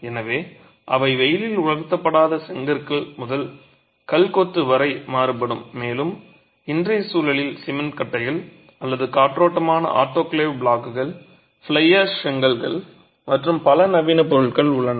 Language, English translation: Tamil, So, they can vary right from sun dried, unburnt bricks all the way to stone masonry and in today's context, cement blocks or modern materials such as aerated, autoclave blocks, fly ash bricks and so on